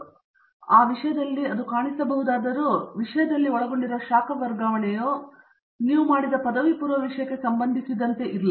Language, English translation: Kannada, So even though notionally it might seem like there is heat transfer involved in the topic it may not be related to the undergraduate subject that you have done